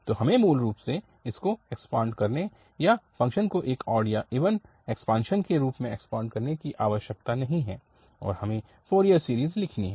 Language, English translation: Hindi, So, we do not have to basically expand it, extend the function as an odd extension or even extension and then we have to write the Fourier series